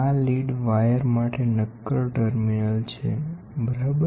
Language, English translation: Gujarati, These are the solid terminal for lead wire, ok